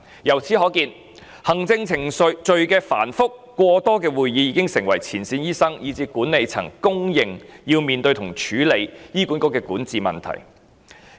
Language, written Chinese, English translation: Cantonese, 由此可見，行政程序繁複，加上會議過多，已成為前線醫生以至管理層皆認為要面對及處理的醫管局管治問題。, From this we can see that the cumbersome administrative process coupled with the excessive number of meetings has turned into a governance problem which front - line doctors and the management staff think HA must address and tackle